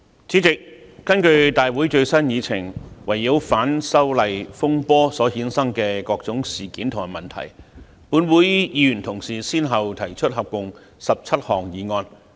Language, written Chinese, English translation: Cantonese, 主席，根據立法會會議最新議程，圍繞反修例風波所衍生的各種事件及問題，本會議員同事先後提出合共17項議案。, President according to the latest Agenda of the meeting of the Legislative Council Members of this Council have proposed a total of 17 motions regarding various incidents and issues resulting from the disturbances arising from the opposition to the proposed legislative amendments